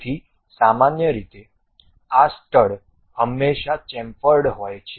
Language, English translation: Gujarati, So, usually these studs are always be chamfered